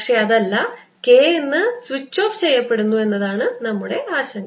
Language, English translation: Malayalam, our concern is that k is being switched off